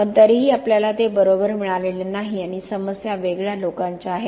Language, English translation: Marathi, But we still have not got it right and the issues are different people have different